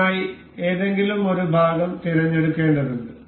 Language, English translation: Malayalam, For this we have to select one any one of the part